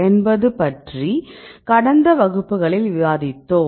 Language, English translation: Tamil, In the last class, what did we discussed in the last class